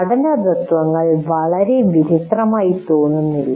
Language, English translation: Malayalam, The principles of learning do not look very odd